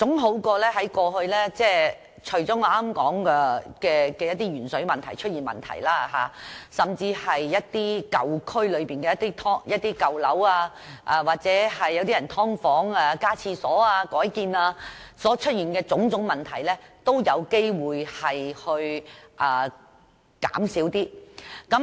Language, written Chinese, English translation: Cantonese, 有了這項規定，我相信除了鉛水問題外，在一些舊區內的舊樓或"劏房"內加建廁所或改建所出現的種種問題，都有機會減少。, With this requirement I believe that beside the lead - in - water problem various problems derived from the construction of additional toilets or alteration works in old buildings or subdivided units in the old districts will be reduced